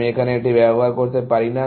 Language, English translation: Bengali, I cannot use this here